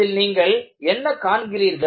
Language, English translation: Tamil, What do you see here